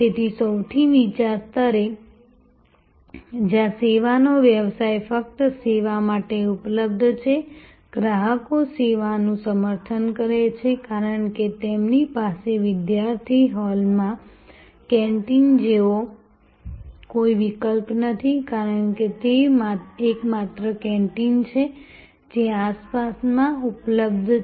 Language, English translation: Gujarati, So, at the lowest level, where service business is at just available for service, customers patronize the service, because they have no alternative like the canteen at a student hall; because that is the only canteen; that is available in the vicinity